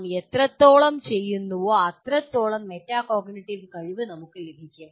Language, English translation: Malayalam, The more we do that, the more metacognitive ability that we will get